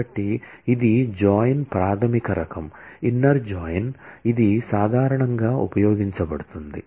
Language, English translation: Telugu, So, this is the basic type of join, inner join which is most commonly used